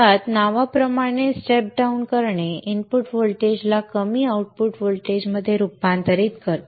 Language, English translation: Marathi, So basically a step down as the name indicates converts the input voltage into a lower output voltage